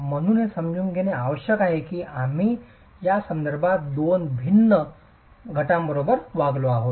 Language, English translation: Marathi, So, it's important to understand that we are dealing with two different phenomena in this context